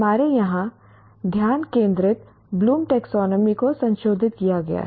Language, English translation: Hindi, Our focus here is what we call revised Bloom's taxonomy